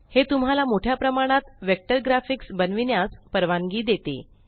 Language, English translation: Marathi, It allows you to create a wide range of vector graphics